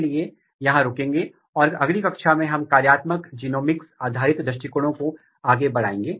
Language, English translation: Hindi, So, this way we will stop here and in next class, we will start next chapter of plant development